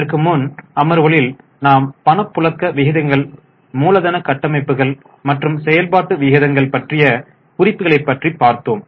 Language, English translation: Tamil, In our earlier sessions we had started the discussion on liquidity ratios, then capital structure as well as we have also discussed the activity ratios